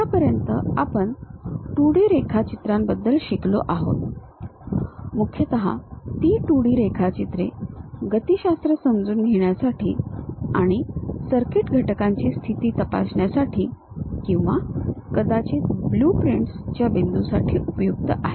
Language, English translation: Marathi, Till now we have learned about 2D drawings, mainly those 2D drawings are helpful in terms of understanding kinematics and to check position of circuit elements or perhaps for the point of blueprints